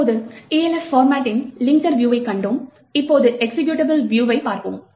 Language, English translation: Tamil, Now that we have seen the linker view of an Elf format, we would now look at the executable view